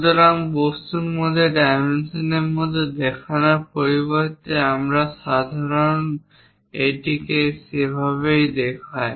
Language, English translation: Bengali, So, instead of showing within the dimensions within the object we usually show it in that way